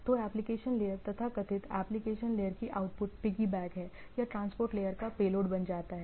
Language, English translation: Hindi, So, the application layer is the output of the so called application layer is piggyback or became a payload of the transport layer